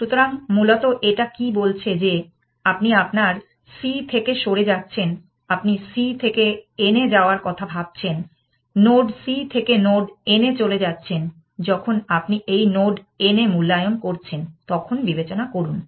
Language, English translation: Bengali, So, essentially what it is saying is that, you are your moving from c, you are considering this move from c to n, from a node c to node n, when you are evaluating this node n, take into account